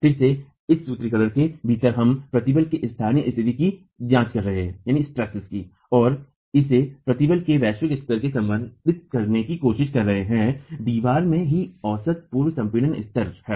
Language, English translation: Hindi, Again, within this formulation we are examining the local states of stress and trying to relate it to the global states of stress, the average pre compression level in the wall itself